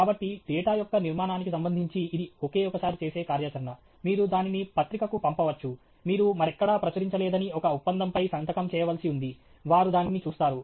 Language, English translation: Telugu, So, with respect to that body of the data it’s a one time activity; you send it to a journal; you are supposed to sign an agreement saying that you have not published it anywhere else, they look at it okay